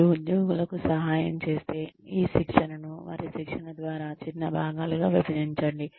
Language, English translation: Telugu, If you help the employees, break up this goal, of going through their training, into smaller parts